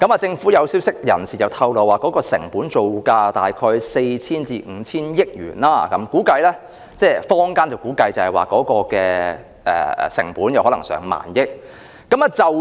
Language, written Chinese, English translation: Cantonese, 政府消息人士透露，成本造價約為 4,000 億元至 5,000 億元，坊間則估計成本可能高達1萬億元。, According to government sources the construction cost is about 400 billion to 500 billion whilst the public have estimated that the cost may be as high as 1,000 billion